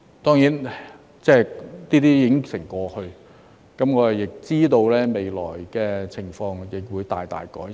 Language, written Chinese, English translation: Cantonese, 當然，這些已成過去，我知道未來的情況會大大改善。, Of course all these have now become history and I know that the situation will be significantly improved in the future